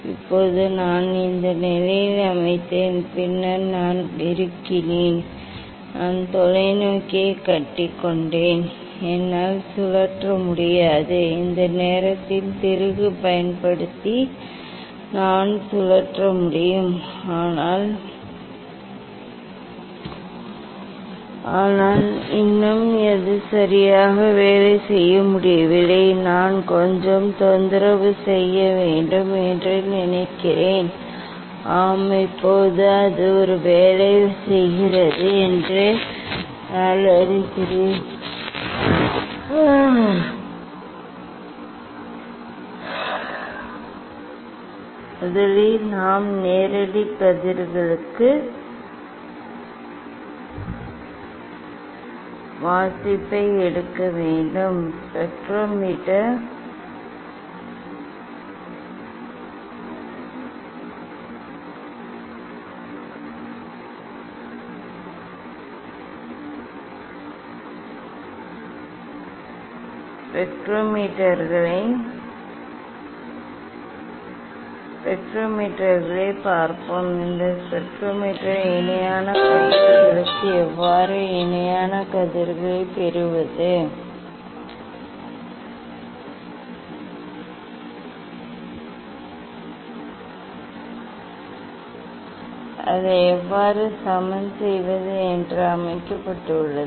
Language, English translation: Tamil, Now, I set at this position then I clamped the; I clamped the telescope, I cannot rotate only I can rotate using the using the this fine screw, but still it is not working ok; I think I have to some disturbance Yes, now it is working I think; first we have to take reading for direct rays let us see the spectrometers; this spectrometer is set for the parallel rays how to get the parallel rays, how to level it so that we have discussed